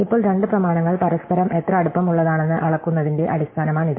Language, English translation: Malayalam, So, now, this can be a basis of measuring how close two documents are to each other